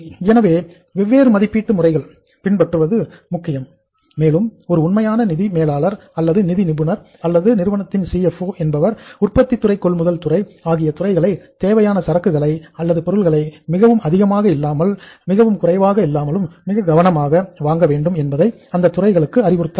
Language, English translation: Tamil, So different valuation methods are important and we should be careful that is a true manager of finance, true manager of finance or expert in finance or CFO of the company should keep on advising the production department, purchase department that they should buy the material in the stocks which are optimum, neither too less nor too more and the valuation should be done appropriately so that finally the recovery of the funds invested in the inventory is not a problem